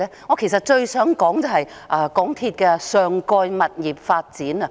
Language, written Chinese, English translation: Cantonese, 我其實最想談的是港鐵公司的上蓋物業發展。, Actually what I want to discuss most is MTRCLs above - station property development